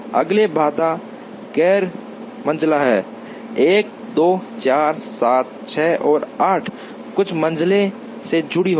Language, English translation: Hindi, The next constraint is the non medians 1 2 4 7 6 and 8 will have to attached to some median